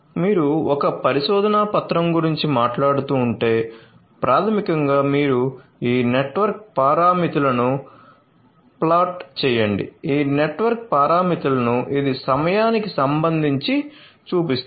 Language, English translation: Telugu, So, if you are talking about a research paper then basically you plot these network parameters you so, how these network parameters very with respect to time and